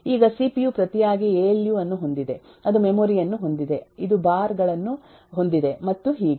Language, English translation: Kannada, now the cpu in turn has alu, it has memory, it has bars and so on actually